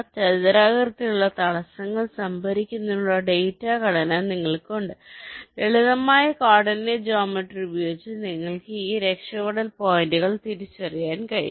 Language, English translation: Malayalam, you have the data structure to store the rectangular obstacles and just using simple coordinate geometry you can identify this escape points right